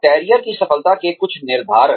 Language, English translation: Hindi, Some determinants of career success